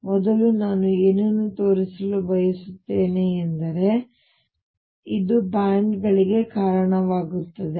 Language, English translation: Kannada, I would earlier, what I want to show is that this leads to bands